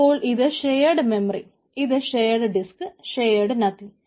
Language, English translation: Malayalam, so it is a shared memory structure, shared disk and shared nothing